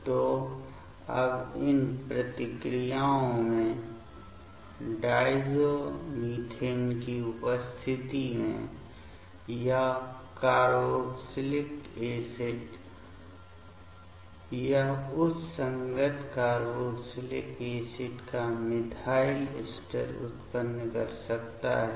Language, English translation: Hindi, So, now in these reactions this carboxylic acid in presence of diazomethane; it can generate the methyl ester of that corresponding carboxylic acid